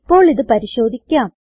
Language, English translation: Malayalam, Now we will check it out